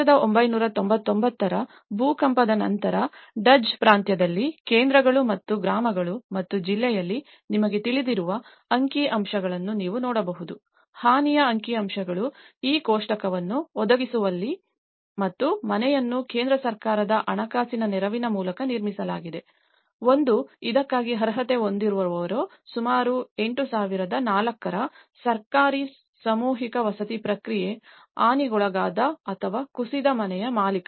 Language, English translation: Kannada, In Duzce province after the 1999 earthquake, you can see that in the centres and villages and the district we have the statistical you know, the damage statistics is in providing this table and the house is constructed through the central government financial support, one is the government mass housing process which is about 8004 who is qualified for this; owner of badly damaged or a collapsed house